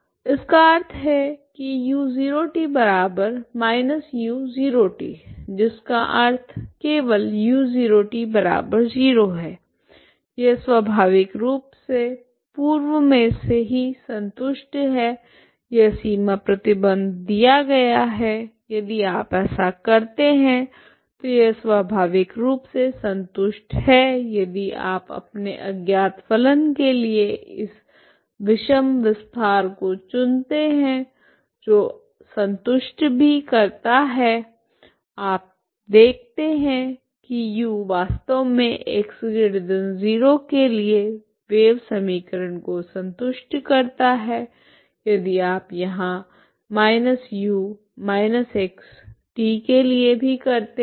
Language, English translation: Hindi, That means this is same as minus U at 0 T that means simply U of 0 T equal to 0 this is naturally satisfied already this is the boundary condition is given ok so this is naturally satisfied if you do this boundary condition is already satisfied ok if you choose this extension this odd extension of your unknown function is satisfied so and you see that U is actually for X positive it satisfies the wave equation if you do even here for minus U, minus U minus X T if you take two derivatives is again U X X of minus X T and minus and then what its derivatives of T is minus U T T minus X T ok